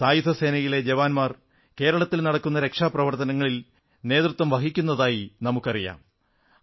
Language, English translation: Malayalam, We know that jawans of our armed forces are the vanguards of rescue & relief operations in Kerala